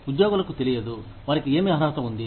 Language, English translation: Telugu, Employees, do not know, what they are entitled to